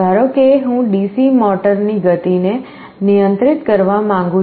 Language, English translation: Gujarati, Suppose I want to control the speed of a DC motor